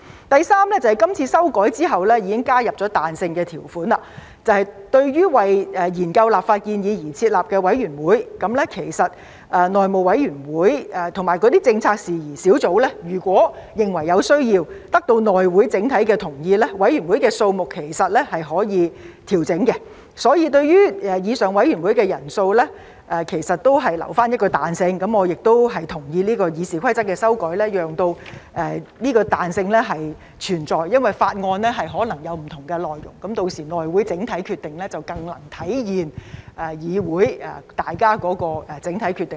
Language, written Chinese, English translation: Cantonese, 第三是今次修改後，已加入彈性條款，對於為研究立法建議而成立的委員會，其實內會和政策事宜小組委員會如果認為有需要，並得到內會整體的同意，委員會的人數是可以調整的，所以對於以上委員會的人數其實已預留彈性，我亦同意這項《議事規則》的修改，讓這彈性存在，因為法案可能有不同的內容，屆時內會整體決定則更能體現議會的整體決定。, For those committees formed to study legislative proposals their membership size can be adjusted if HC and subcommittees on policy issues consider it necessary and the agreement of the entire HC has been obtained . Therefore flexibility has been allowed in respect of the membership size of the above mentioned committees . I also agree to this amendment to RoP so as to allow for this flexibility